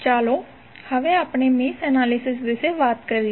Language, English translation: Gujarati, Now, let us talk about mesh analysis